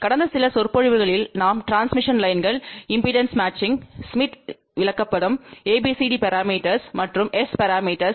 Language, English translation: Tamil, Hello, in the last few lectures we have been talking about transmission lines impedance matching smith chart ABCD parameters and S parameters